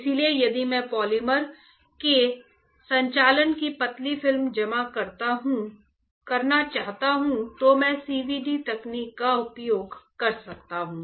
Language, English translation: Hindi, So, if I want to deposit the thin film of conducting polymer, I can uses CVD technique